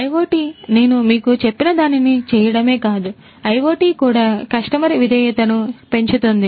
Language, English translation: Telugu, IoT not only does what I just told you, but IoT is also capable of increasing the customer loyalty